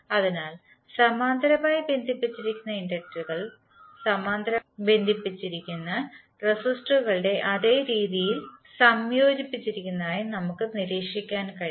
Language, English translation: Malayalam, So what we can observe, we can observe that inductors which are connected in parallel are combined in the same manner as the resistors in parallel